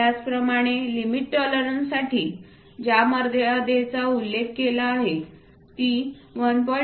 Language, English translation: Marathi, Similarly limit tolerances for which limits are mentioned it can vary from 1